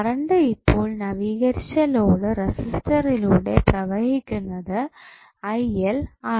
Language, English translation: Malayalam, Current now, flowing through the updated load resistors is now Il dash